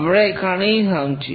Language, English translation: Bengali, We will stop at this point